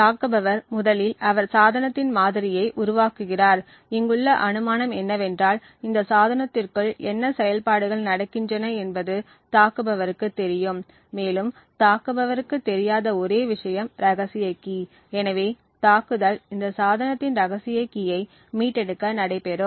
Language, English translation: Tamil, So, what the attacker does is firstly he builds a model of the device, the assumption here is that the attacker knows exactly what operations are going on within this device and the only thing that the attacker does not know is the secret key, the whole attack therefore is to be able to retrieve the secret key of this device